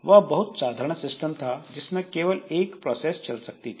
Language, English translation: Hindi, So, this is a very simple system and only one process will be running